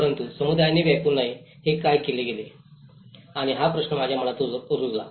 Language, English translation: Marathi, But what made the communities not to occupy and this question have rooted in my mind